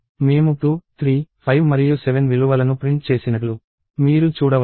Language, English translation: Telugu, You can see that I printed values 2, 3, 5 and 7